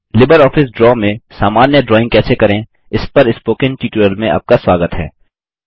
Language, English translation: Hindi, Welcome to the Spoken Tutorial on How to Create Simple Drawings in LibreOffice Draw